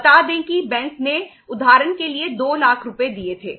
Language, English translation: Hindi, Say that bank had given for example 2 lakh uh rupees